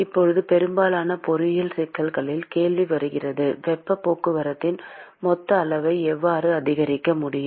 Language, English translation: Tamil, Now the question comes in most of the engineering problems is how can I increase the total amount of heat transport